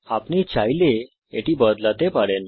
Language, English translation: Bengali, You can change it as you want